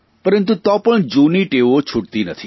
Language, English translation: Gujarati, But even then, old habits die hard